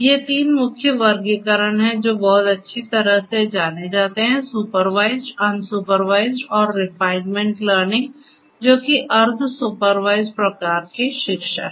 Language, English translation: Hindi, These are the three main classifications that are very well known unsupervised, supervised and reinforcement learning which is kind of a semi supervised kind of learning, right